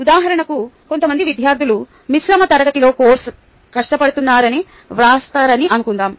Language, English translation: Telugu, for example, suppose some students write that they are finding the course difficult in a mixed class